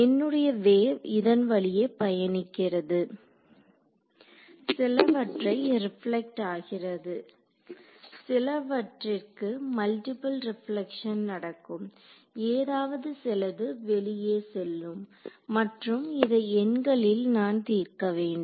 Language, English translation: Tamil, My wave is travelling like this, some of it will get reflected some of it will go through multiple reflection will happen something will come out and I want to solve this numerically right